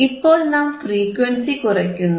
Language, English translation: Malayalam, So, we will keep on increasing the frequency